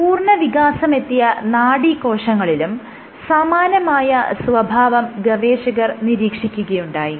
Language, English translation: Malayalam, They observed the identical behavior with neurons mature neurons